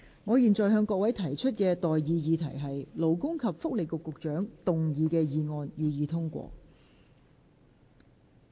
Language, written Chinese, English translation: Cantonese, 我現在向各位提出的待議議題是：勞工及福利局局長動議的議案，予以通過。, I now propose the question to you and that is That the motion moved by the Secretary for Labour and Welfare be passed